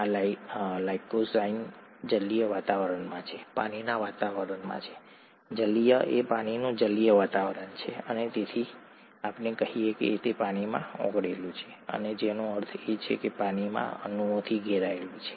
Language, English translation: Gujarati, This lysozyme is in an aqueous environment, water environment, aqueous is water, aqueous environment and it therefore it is a let us say, dissolved in water and which means that is surrounded by water molecules